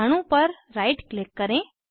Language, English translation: Hindi, Right click on the molecule